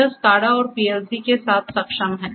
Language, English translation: Hindi, It is enabled with SCADA, it is enabled with PLC